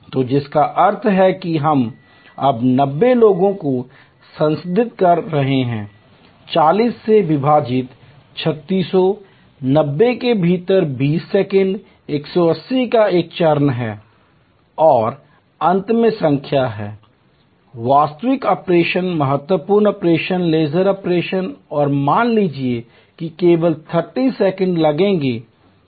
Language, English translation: Hindi, So, which means we are looking at processing 90 people now, 3600 divided by 40, 90 within have a step of 20 second 180 and number of finally, the actual operation critical operation is the laser operation and suppose that takes 30 seconds only